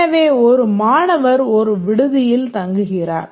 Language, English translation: Tamil, So, a student lives in one hostel